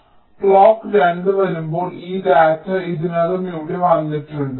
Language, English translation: Malayalam, so when clock two comes, this data is already come here